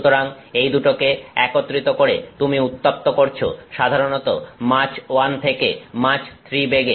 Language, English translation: Bengali, So, taking these two into combination you are heating usually heating velocities which are Mach 1 to Mach 3